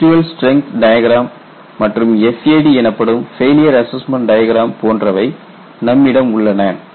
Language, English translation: Tamil, So, you can get residual strength diagram, similarly you get a FAD failure assessment diagram